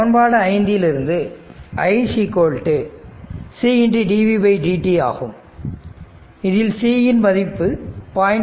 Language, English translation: Tamil, It is look we know from equation 5 that i is equal to C into dv by dt C is given 0